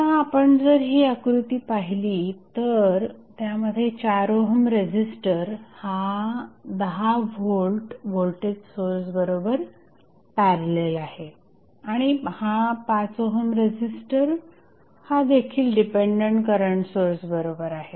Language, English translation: Marathi, Now, if you see the figure that 4 ohm resistor is in parallel with 10 volt voltage source and 4 ohm resistor is also parallel with dependent current source